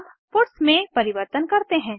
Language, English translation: Hindi, Let us modify the puts